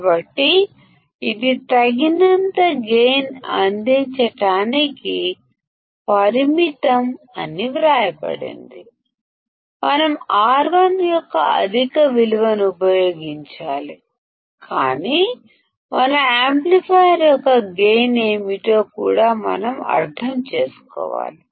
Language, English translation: Telugu, So, it is written that it is limited to provide sufficient gain, we have to use very high value of R1, but we also have to understand as to what is the gain of our amplifier